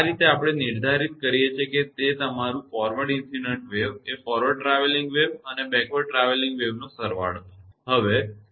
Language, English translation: Gujarati, This way we define one is your forward incident wave, forward travelling wave, plus your; what we call the backward travelling wave right